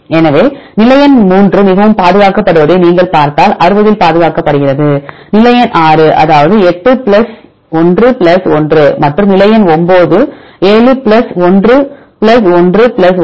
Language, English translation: Tamil, So, just I show the sequence if you see position number one 3 is highly conserved 60 is conserved and position number 6 that is 8 plus 1 plus 1 and position number 9 7 plus 1 plus 1 plus 1